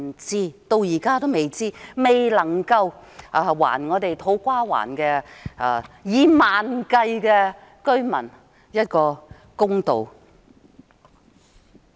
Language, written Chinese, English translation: Cantonese, 至今也不知道，未能還土瓜灣數以萬計的居民一個公道。, So far the answer is unknown . It is still unable to restore justice to the tens of thousands of residents in To Kwa Wan